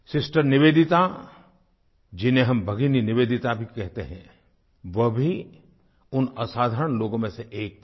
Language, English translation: Hindi, Sister Nivedita, whom we also know as Bhagini Nivedita, was one such extraordinary person